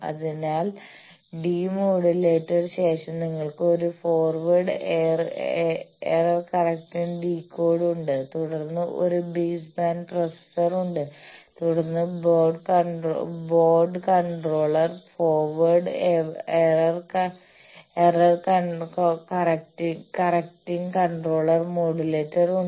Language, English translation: Malayalam, So, after demodulator you have there is a forward error correcting decoder then there is a base band processor then on mode controller forward error correcting controller modulator